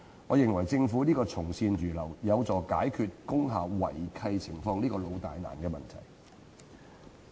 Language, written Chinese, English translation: Cantonese, 我認為政府從善如流，有助解決工廈違契情況這個"老大難"的問題。, I think that the readiness of the Government to accept good advice will help resolve the thorny issue of lease breaches involving industrial buildings